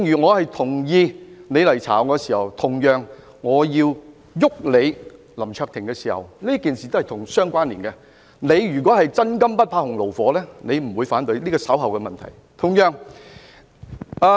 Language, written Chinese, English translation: Cantonese, 我同意你調查我，同樣地，當我要"郁"林卓廷議員時，兩件事情是互相關連的，如果他是真金不怕洪爐火的話，他也不會反對，但這是稍後的議案。, However I ask for a comprehensive investigation . I agree that you investigate me but similarly when I want to fix Mr LAM Cheuk - ting since the two things are interrelated he should not oppose it if he is a person of integrity who can stand severe tests . Anyway this is something to do with the motion in due course